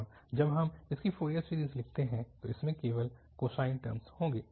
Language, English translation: Hindi, And when we write the Fourier series of this, it will have only the cosine terms